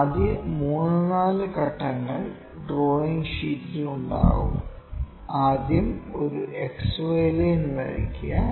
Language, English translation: Malayalam, The first three step, four steps are on the drawing sheet; first draw a XY line